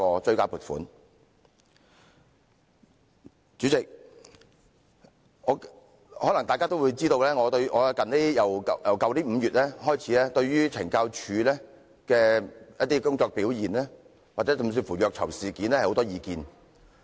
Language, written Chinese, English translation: Cantonese, 代理主席，可能大家也知道，自去年5月以來，我對懲教署一些工作表現乃至虐囚事件有很多意見。, Deputy President Members may know that since May last year I have had a lot of views on the performance of the Correctional Services Department CSD in some aspects as well as incidents of abuse of prisoners